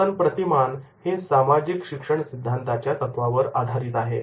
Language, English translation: Marathi, Behavior modeling is based on the principles of social learning theory, right